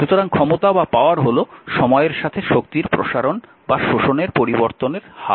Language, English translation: Bengali, So, power is the time rate of a expanding or a absorbing energy